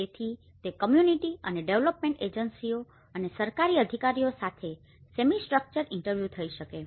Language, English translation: Gujarati, So it could be semi structured interviews with the communities and development agencies and the government authorities